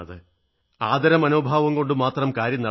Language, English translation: Malayalam, Only a sense of respect does not suffice